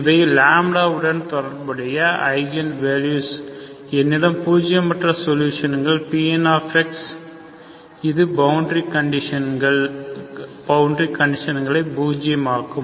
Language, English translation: Tamil, These are the eigenvalues corresponding to this lambda I have a nonzero solution Pn of x which is satisfying the boundary conditions